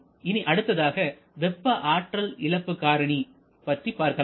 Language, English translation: Tamil, So, this is our time loss let us move to the heat loss factor